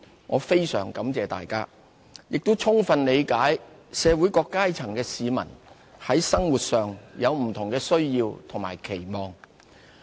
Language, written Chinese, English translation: Cantonese, 我非常感謝大家，也充分理解社會各階層的市民，在生活上有不同的需要和期望。, I am indebted to you all and appreciate fully that various sectors of the community have different needs and aspirations